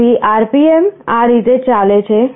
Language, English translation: Gujarati, So, the RPM is going like this